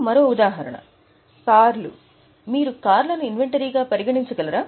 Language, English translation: Telugu, For example, cars, can you treat cars as an inventory